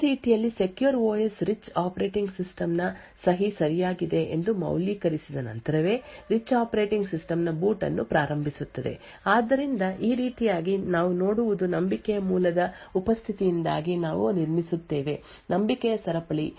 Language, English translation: Kannada, In a very similar way the secure OS initiates the boot of the rich operating system only after validating that the signature of the rich operating system is correct so in this way what we see is due to the presence of a root of trust we build a chain of trust